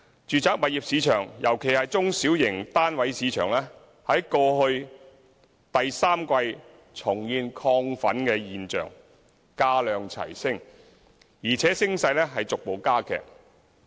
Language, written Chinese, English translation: Cantonese, 住宅物業市場——尤其是中小型單位市場——在去年第三季重現亢奮跡象，價量齊升，且升勢逐步加劇。, Signs of exuberance have re - emerged since the third quarter last year particularly in the mass market flats of the residential property market with accelerated increase in both housing prices and transactions